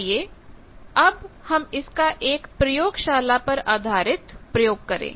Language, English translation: Hindi, Now let us do this that in a laboratory based experiment